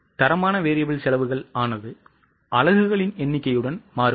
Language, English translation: Tamil, So, the standard variable cost will also change with the number of units